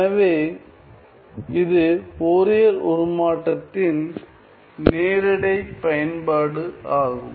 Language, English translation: Tamil, So, its a very straight forward application of Fourier transform